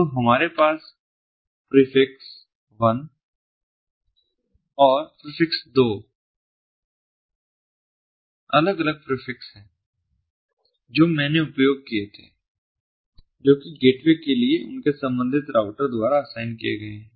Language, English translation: Hindi, so we have this prefix one and prefix two, two different prefixes that i i used, that are assigned by their corresponding routers to the gateway